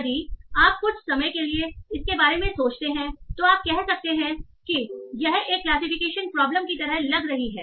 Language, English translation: Hindi, So if you think about it for a while, you can see, OK, this looks like a classification problem, right